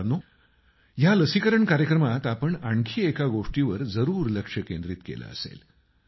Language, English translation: Marathi, in this vaccination Programme, you must have noticed something more